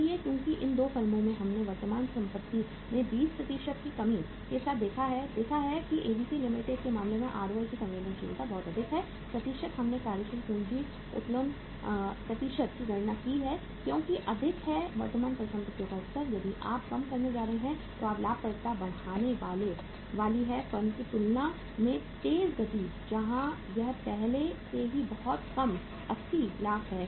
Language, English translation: Hindi, So because in these 2 firms we have seen with the reduction of the current assets by 20% we have seen that the sensitivity of the ROI is very high in case of the ABC Limited that is the percentage we have calculated the working capital leverage percentage is 83% because higher level of current assets if you are going to reduce that your profitability is going to increase at a faster pace as compared to the firm where it is already very low 80 lakhs